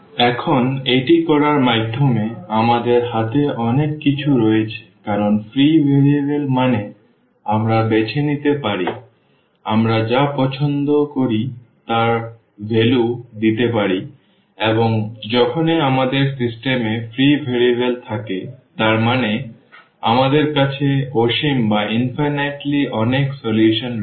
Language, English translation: Bengali, By doing this now, we have so many things in hand because free variables means we can choose, we can give the values whatever we like and whenever we have free variables in the system ah; that means, we have infinitely many solutions